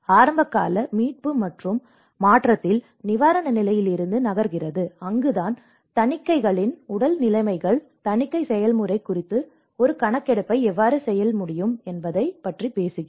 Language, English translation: Tamil, In the early recovery and transition, which moves on from the relief stage that is where we talk about how one can do a survey of the physical conditions of the audits, the audit process